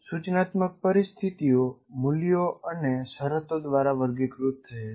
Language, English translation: Gujarati, And if you take instructional situations, they are characterized by values and conditions